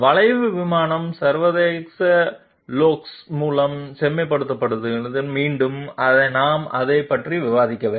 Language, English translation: Tamil, Refine by curve plane International golf, once again I have not discussed it